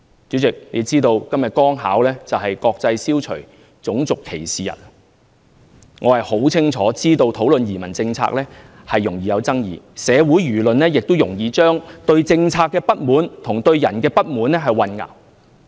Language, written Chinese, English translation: Cantonese, 主席，大家是否知道今天剛巧是"國際消除種族歧視日"，我很清楚知道討論移民政策容易引起爭議，社會輿論亦容易將對政策的不滿和對人的不滿混淆。, President I am not sure if Members know that it just so happens that today is the International Day for the Elimination of Racial Discrimination . I understand very well that the discussion on immigration policies will cause controversy and it is very easy for the public to mix up their discontentment against a policy with that against an official